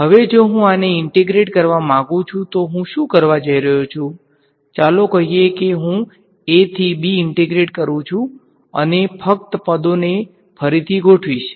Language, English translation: Gujarati, Now if I want to integrate this so what I am going to do is let us say I do an integral from a to b and just rearrange the terms ok